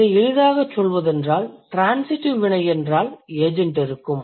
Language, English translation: Tamil, So, if it is a transitive verb, it is assumed that there must be an agent